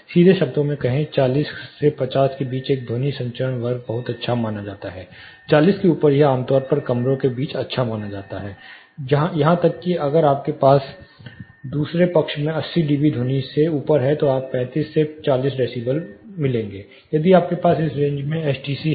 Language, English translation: Hindi, Simply putting it a sound transmission class between; say forty to 50 is considered to be very good, higher it is, say higher it above forty it is considered to be typically good between the rooms; that is even if you have above say 80 d b sound in the other side you are going to get 35 to 40 decibels if you have a STC in this range